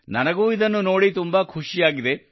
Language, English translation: Kannada, I am also very happy to see this